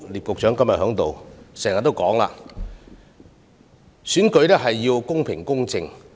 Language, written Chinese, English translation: Cantonese, 局長今天在席，他經常強調要確保選舉公平公正。, The Secretary is present today . He always stresses the need for ensuring the fair and impartial conduct of the election